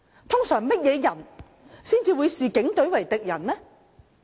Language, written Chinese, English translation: Cantonese, 通常甚麼人才會視警隊為敵人呢？, Who normally would see the Police as an enemy?